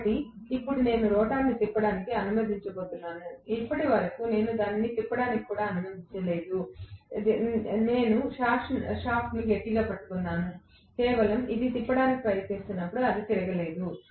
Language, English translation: Telugu, So, now, I am going to now allow the rotor to rotate, until now I did not even allow it to rotate, I was holding the shaft tightly, it is just, you know, trying to rotate it has not rotated